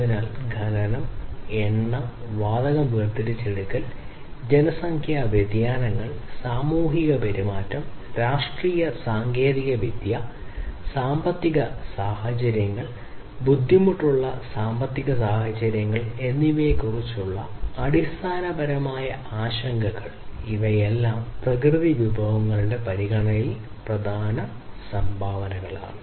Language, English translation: Malayalam, So, basically concerns about too much of mining too much of extraction of oil and gas, demographic shifts, societal behavior, politics, technology, economic situations, difficult economic situations all of these are major contributors in terms of the consideration of natural resources